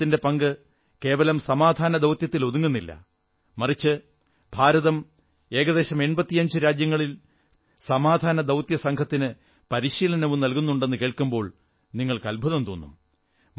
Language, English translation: Malayalam, You will surely feel proud to know that India's contribution is not limited to just peacekeeping operations but it is also providing training to peacekeepers from about eighty five countries